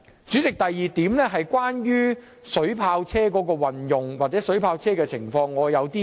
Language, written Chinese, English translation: Cantonese, 主席，第二點是關於水炮車的運用，我對此有些個人看法。, President the second point is about the utilization of water cannon vehicles . I have some personal views on this